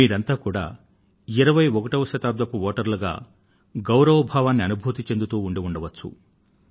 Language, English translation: Telugu, The entire nation is eager to welcome you as voters of the 21st century